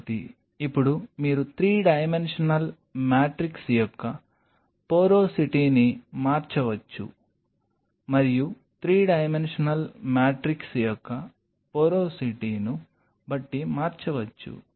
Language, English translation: Telugu, So, now, you can vary the porosity of the 3 dimensional matrix and by varying the porosity of the 3 dimensional matrix depending on the